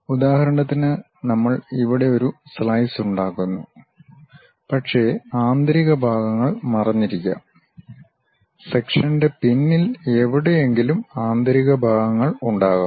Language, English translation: Malayalam, For example, we are making a slice here, but there might be internal parts which are hidden; somewhere here behind the section there might be internal parts